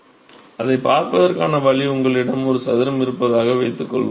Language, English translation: Tamil, So, the way to see that is suppose you have a square